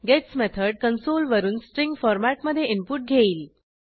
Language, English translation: Marathi, gets method gets the input from the console but in a string format